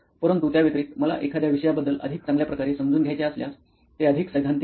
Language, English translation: Marathi, But apart from that, if I want to understand, have a better understanding of a topic, it is more theoretical